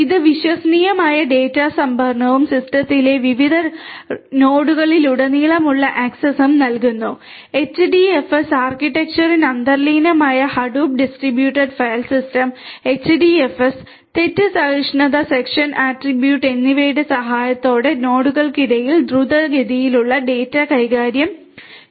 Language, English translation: Malayalam, It provides reliable data storage and access across different nodes in the system, the rapid data transfer among the nodes is going to be possible with the help of Hadoop distributed file system HDFS and fault tolerant fault tolerant season attribute that is inherent to HDFS architecture